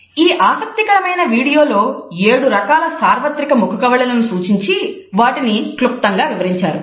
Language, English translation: Telugu, This is a very interesting video which looks at the seven types of universal facial expression and explains them in a succinct manner